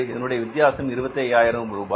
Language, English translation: Tamil, Here is a difference of 25,000 rupees